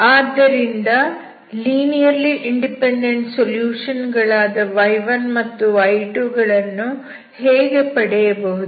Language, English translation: Kannada, Now the question is how we find the linearly independent solutions y1, andy2